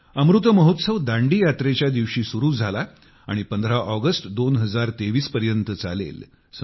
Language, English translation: Marathi, 'Amrit Mahotsav' had begun from the day of Dandi Yatra and will continue till the 15th of August, 2023